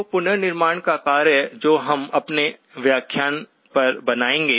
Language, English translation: Hindi, So the task of reconstruction which we will build on the next lecture